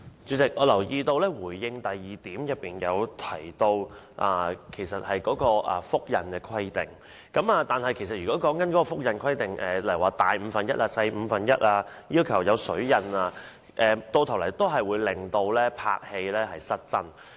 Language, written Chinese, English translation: Cantonese, 主席，我留意到在主體答覆第二部分提到有關複製香港流通紙幣的規定，但對於這些規定，例如要求尺寸要比實物大五分之一、小五分之一或要有"水印"等，其實最終會令電影拍攝失真。, President part 2 of the Secretarys main reply mentions the requirements on replicating Hong Kong currency notes such as the need for replicas to bear the water mark and be one - fifth bigger or smaller than genuine banknotes . But these requirements will reduce the realism of films